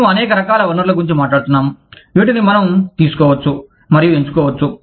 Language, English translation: Telugu, We are talking about, a wide variety of resources, that we can pick and choose from